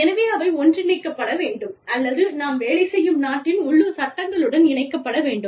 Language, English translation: Tamil, So, and that needs to be merged, or that needs to be aligned, with the local laws of the country, within which, we are operating